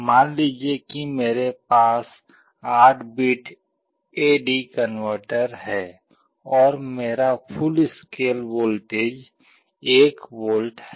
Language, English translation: Hindi, Suppose I have an 8 bit A/D converter and my full scale voltage is 1 volt